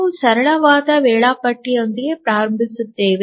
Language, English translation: Kannada, We will start with the simplest scheduler